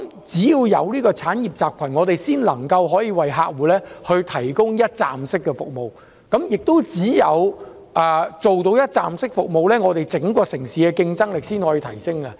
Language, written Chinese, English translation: Cantonese, 這個產業集群形成後，我們才能為客戶提供一站式服務，只有提供一站式服務，才能提升整個城市的競爭力。, Only with the establishment of such an industrial cluster can we provide one - stop services to clients and only through the provision of one - stop services can the whole citys competitiveness be boosted